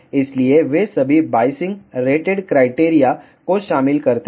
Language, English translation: Hindi, So, they incorporate all the biasing rated criterias